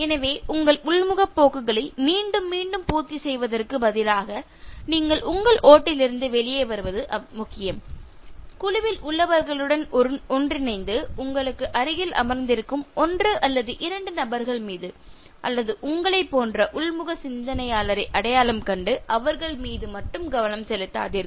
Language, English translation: Tamil, So instead of again and again catering to your introverted tendencies it is important you come out of your shell, mingle with the people in the group not focusing on one or two individuals who are sitting next to you or identifying somebody who as introverted as you and then focusing only on with this person